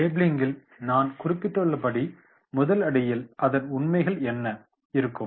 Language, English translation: Tamil, As I mention in the labelling there will be what are the facts